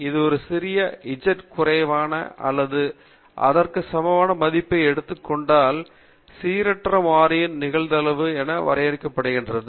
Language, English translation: Tamil, It is defined as probability of the random variable taking the value less than or equal to small z